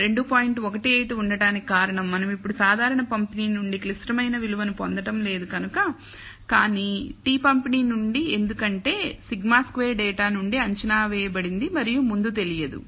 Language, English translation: Telugu, 18 instead of 2 is because we are no longer obtaining the critical value from the normal distribution, but from the t distribution because sigma squared is estimated from the data and not known up priori